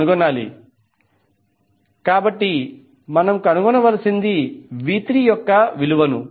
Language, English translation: Telugu, Now, what is the value of V3